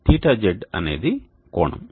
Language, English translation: Telugu, that is the angle